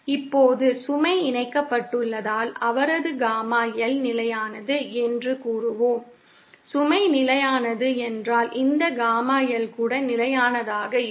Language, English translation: Tamil, Now since the load is connected, we will say that his Gamma L is constant, if the load is constant, this Gamma L will also be constant